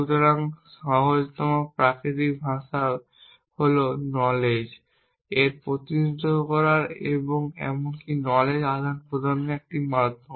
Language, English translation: Bengali, So, simplest is natural language; natural language is a medium for representing knowledge and even exchanging knowledge essentially